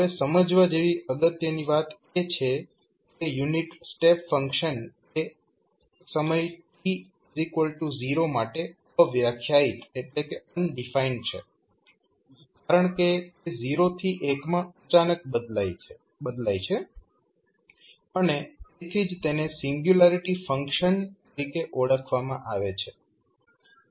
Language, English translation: Gujarati, Now, important thing to understand is that unit step function is undefined at time t is equal to 0 because it is changing abruptly from 0 to1 and that is why it is called as a singularity function